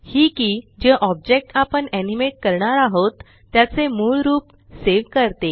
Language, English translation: Marathi, This key saves the original form of the object that we are going to animate